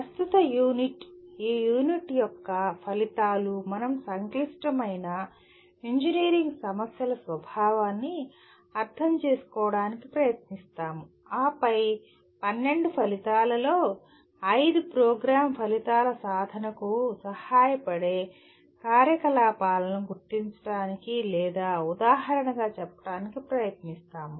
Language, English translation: Telugu, Coming to the present unit, the outcomes of this unit, we try to understand the nature of complex engineering problems and then we try to identify or exemplify the activities that facilitate the attainment of 5 of the 12 outcomes, Program Outcomes